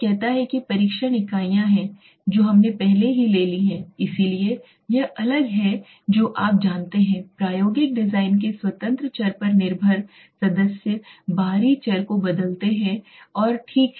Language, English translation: Hindi, It says the test units are what we have already taken so this as this are the different you know members in the experimental design independent variables dependent variables the extraneous variables and okay